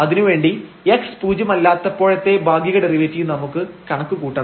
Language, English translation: Malayalam, So, we have the existence of the partial derivative with respect to x